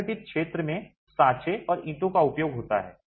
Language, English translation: Hindi, The unorganized sector uses molds and casts bricks